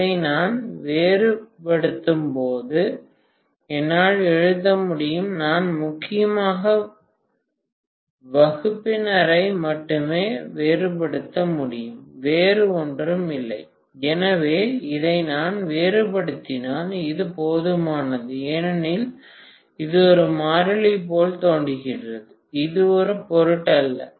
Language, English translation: Tamil, So I can write when I differentiate this I will have to mainly differentiate only the denominator, nothing else, so if I differentiate this, that is sufficient because this looks like a constant, this is not going to matter